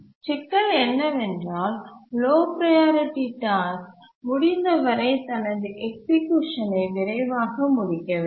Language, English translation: Tamil, But how do we really make a low priority task complete its execution as early as possible